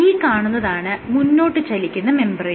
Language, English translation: Malayalam, So, this is the membrane which is moving forward